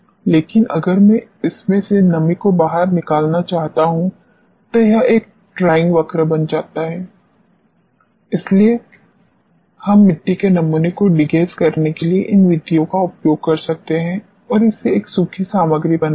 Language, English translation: Hindi, But if I want to take out the moisture from this it becomes a drying cycle for which we may use these methods for degassing the soil sample and hence making it a dry material ok